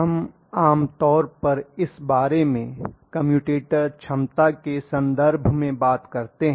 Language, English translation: Hindi, We generally talk about it in terms of commutator capacity